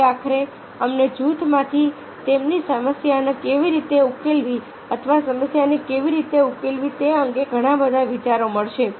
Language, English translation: Gujarati, so ultimately you will get a lot many ideas from the group: how to sort out get problem or how to result these